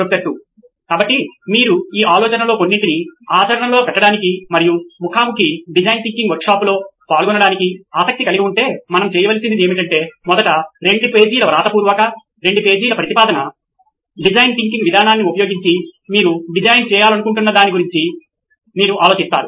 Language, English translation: Telugu, So if you are interested in trying to put some of these ideas into practice and attending a face to face design thinking workshop then what we should do is first come up with a 2 page write up, a 2 page proposal where you think of something that you would like to design using a design thinking approach